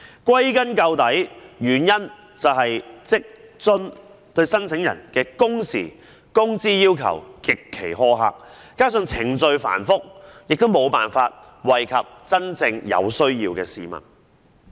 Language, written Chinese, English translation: Cantonese, 歸根究底，原因是職津計劃對申請人的工時和工資要求極其苛刻，加上程序繁複，無法惠及真正有需要的市民。, The root causes are the extremely harsh working hour and wage requirements imposed on applicants by WFAS . This coupled with the onerous procedures has rendered it unable to benefit people who are genuinely in need